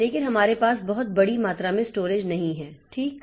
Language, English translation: Hindi, But we cannot have very, very large amount of storage